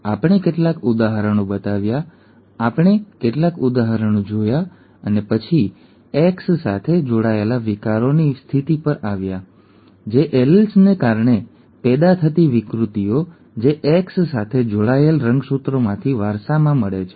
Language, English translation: Gujarati, We showed some examples, we looked at some examples and then came to the situation of X linked disorders, the disorders that arise due to alleles that are inherited from X linked chromosomes